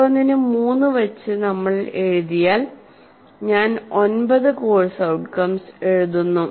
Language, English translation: Malayalam, For each one if I write three, I end up writing nine course outcomes